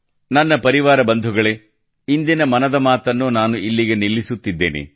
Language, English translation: Kannada, My dear family members, that's all this time in 'Mann Ki Baat'